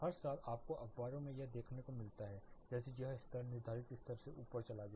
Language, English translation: Hindi, Every year you get to see this in newspapers like, this much level it went up to up above the prescribed level